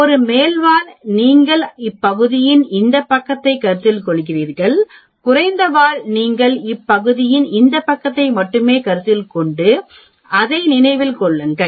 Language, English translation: Tamil, For a upper tail you are considering this side of the area, for lower tail you are considering only this side of the area, remember that